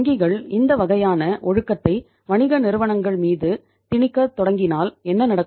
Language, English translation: Tamil, If the firms if the banks start imposing this kind of the discipline on the on the business firms then what happens